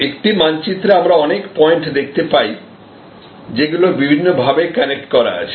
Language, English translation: Bengali, So, the map just like in a map we see different points connected through different ways